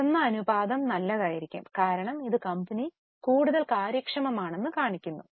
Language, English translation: Malayalam, Higher the ratio will be good because that shows a more or a more efficiency of the company